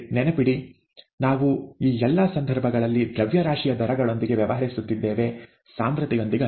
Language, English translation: Kannada, Remember, we are dealing with mass rates in all these cases, not concentrations